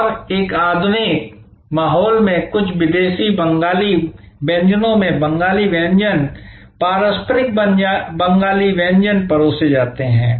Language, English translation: Hindi, And other places with serve Bengali cuisine, traditional Bengali cuisine in some exotic Bengali cuisine in a modern ambiance